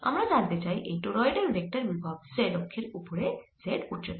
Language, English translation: Bengali, find the vector potential for this torrid on the z axis at height z